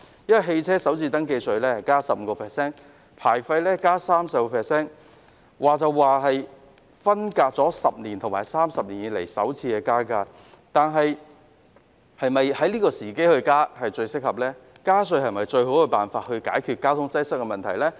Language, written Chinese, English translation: Cantonese, 私家車首次登記稅提高 15%， 牌照費增加 30%， 雖然分別是10年來和30年來首次增加收費，但現時是否增加收費的最合適時機呢？, The first registration tax rates and vehicle licence fees for private cars will be raised by 15 % and 30 % respectively . Although these are the first increases in 10 years and 30 years respectively is this the right time to raise the amounts?